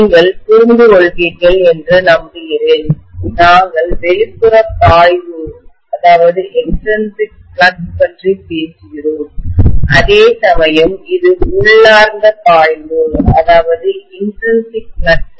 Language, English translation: Tamil, I hope you understand, we are talking about this as extrinsic flux, whereas this is intrinsic flux